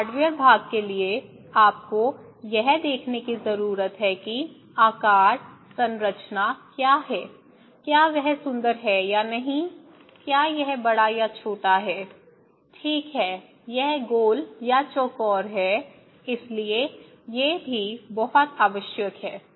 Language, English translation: Hindi, For hardware part, you need to watch it, what is the shape, size, structure, is it beautiful or not, is it big or small, okay is it round or square so, these are also very necessary